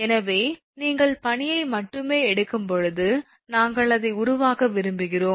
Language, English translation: Tamil, So, when you are taking only ice we want to make it